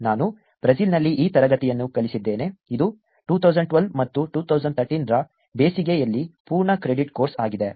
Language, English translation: Kannada, I also have taught this class in Brazil, which is a full credit course over the summers in 2012 and 2013